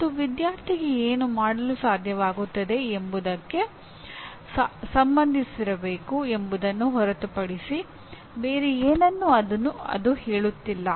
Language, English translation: Kannada, Because it is not saying very much except that it should be related to what the student should be able to do